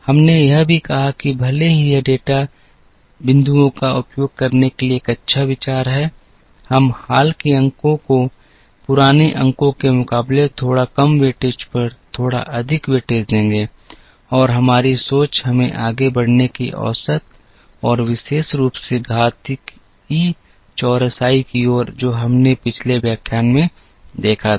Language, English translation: Hindi, We also said that even though, it is a good idea to use all the data points, we would rather give a little more weightage to the recent points on little less weightage to the older points and that thinking of ours let us towards moving averages and particularly towards exponential smoothing, which we saw in the previous lecture